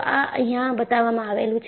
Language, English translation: Gujarati, These are shown here